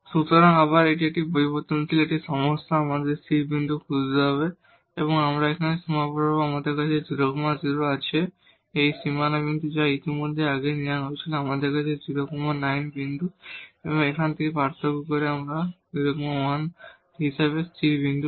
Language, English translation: Bengali, So, again this is a problem of one variable we have to look for the stationary point and along this boundary here we have the 0 0, this boundary point which was already taken earlier we have 0 9 point and from here by differentiating this we will get the stationary point as 0 1